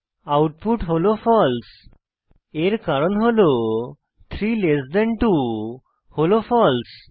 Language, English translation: Bengali, This is because 32 is false